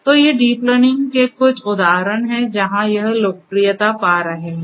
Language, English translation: Hindi, So, these are some of these examples of deep learning and where it is finding popularity